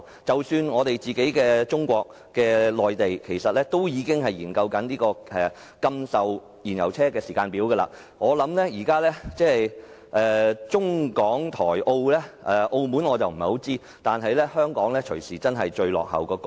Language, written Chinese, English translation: Cantonese, 即使是中國內地亦已開始研究禁售燃油汽車時間表，現時在中港台澳中，雖然我不清楚澳門的情況，但香港很可能便是最落後的地方。, Even Mainland China has already begun studying the timetable for the prohibition of sale of fuel - engined vehicles . Among China Hong Kong Taiwan and Macao although I am not very clear about the situation of Macao it is very likely that Hong Kong is falling the farthest behind